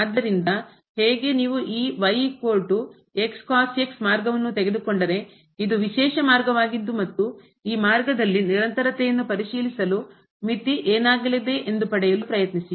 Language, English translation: Kannada, So how: if you take this path is equal to this special path, and try to get the limit for the continuity what will happen